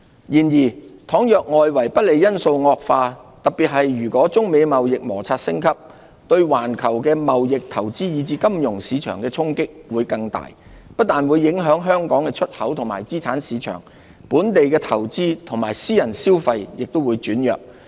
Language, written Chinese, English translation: Cantonese, 然而，倘若外圍不利因素惡化，特別是如果中美貿易摩擦升級，對環球貿易、投資以至金融市場的衝擊會更大，不但會影響香港的出口及資產市場，本地的投資及私人消費亦會轉弱。, However should the external headwinds deteriorate especially if the United States - China trade conflict escalates global trade investment and financial markets will be subject to greater shocks . This will not only affect our exports and asset markets but also dampen local investments and private consumption